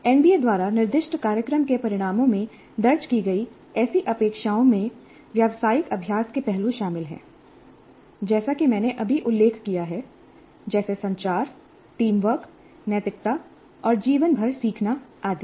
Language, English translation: Hindi, Such expectations as captured in the program outcomes specified by NBA include aspects of professional practice, as I just know mentioned, like communication, teamwork, ethics, lifelong learning, etc